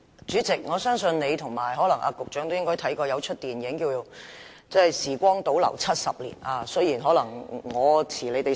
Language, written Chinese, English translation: Cantonese, 主席，我相信你和局長也應該看過一齣名為"時光倒流70年"的電影。, President I believe you and the Secretary should have watched a movie called Somewhere in Time